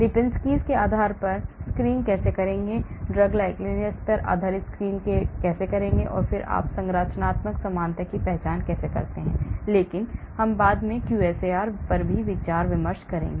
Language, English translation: Hindi, how to screen based on Lipinski’s, how to screen based on drug likeness and then how do you identify the structural similarities, but we are going to spend lot of time later on QSAR